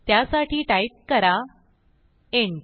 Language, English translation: Marathi, So type int